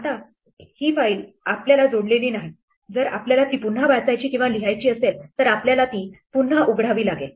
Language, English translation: Marathi, Now, this file is no longer connected to us if we want to read or write it again we have to again open it